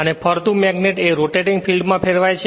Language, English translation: Gujarati, And the moving magnet is replaced by rotating field